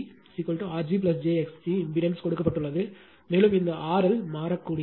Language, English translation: Tamil, And this is Z g is equal to say R g plus j x g impedance is given, and this R L is variable right